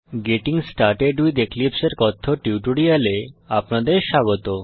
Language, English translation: Bengali, Welcome to the spoken tutorial on Getting started with Eclipse